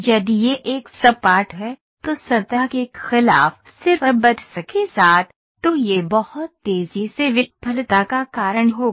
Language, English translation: Hindi, If this is is a flat one, with just buts against the surface, then this will lead to a failure very faster